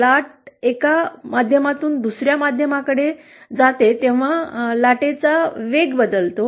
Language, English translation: Marathi, That is when a wave travels from one media to another, there is a change in the velocity of the wave